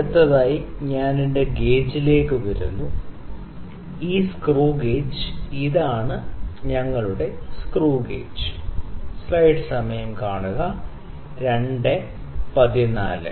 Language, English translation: Malayalam, So, these are various components next I come to my gauge, this screw gauge, this is our screw gauge